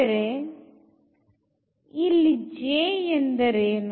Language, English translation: Kannada, So, now what is this J here